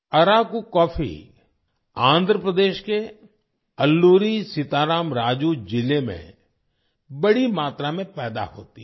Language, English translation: Hindi, Araku coffee is produced in large quantities in Alluri Sita Rama Raju district of Andhra Pradesh